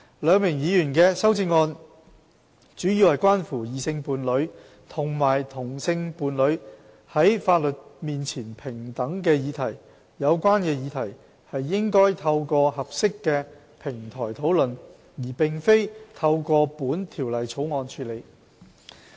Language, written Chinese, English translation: Cantonese, 兩名議員的修正案，主要關乎異性伴侶和同性伴侶在法律面前平等的議題。有關議題應透過合適的平台討論，而非透過本《條例草案》處理。, The amendments proposed by the two Members involve equality before the law between couples of the opposite sex and of the same sex which should be discussed on an appropriate platform instead of being handled through the Bill